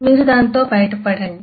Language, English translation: Telugu, you just get over with it